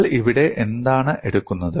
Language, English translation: Malayalam, And what do you take here